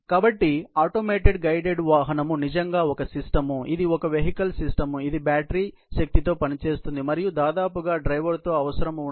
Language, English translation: Telugu, So, an automated guided vehicle really, is a system, is a vehicle system, which is operated with battery power and it is by and large, driver less